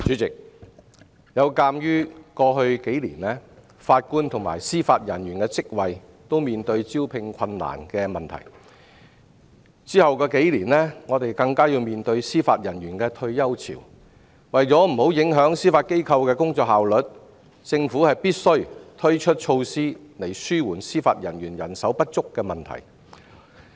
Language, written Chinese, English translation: Cantonese, 主席，鑒於過去數年法官及司法人員的職位均面對招聘困難的問題，隨後數年香港更要面對司法人員的退休潮，為免影響司法機構的工作效率，政府必須推出措施以紓緩司法人員人手不足的問題。, President in view of the recruitment difficulty of Judges and Judicial Officers JJOs over the past few years and the retirement wave among Hong Kongs Judicial Officers in the coming years the Government must take measures to alleviate the shortage of judicial manpower so as to avoid impairing the efficiency of the Judiciary